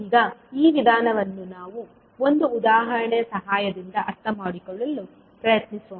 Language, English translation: Kannada, Now this particular approach let us try to understand with the help of one example